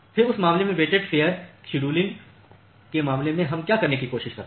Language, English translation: Hindi, Then in that case in case of weighted fair scheduling, what we try to do